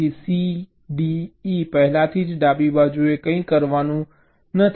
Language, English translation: Gujarati, let see: so c, d, e are already to the left, nothing to do